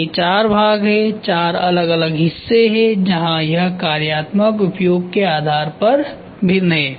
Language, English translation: Hindi, These are four parts, four different parts where it is discretise based on functional use